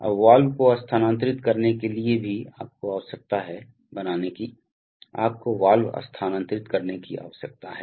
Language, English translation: Hindi, Now to move the valve also you need to create, you need to move the valve